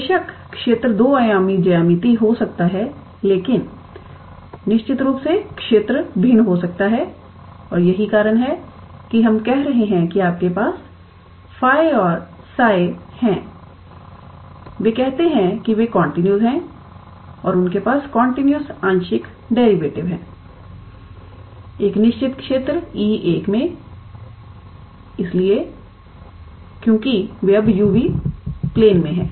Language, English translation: Hindi, Of course, the region might be two dimensional geometry, but of course, the region might be different and that is why we are saying that these you have phi and psi, they are how to say they are continuous and they have continuous partial derivative in a certain region E 1 so, because they are now in u v plane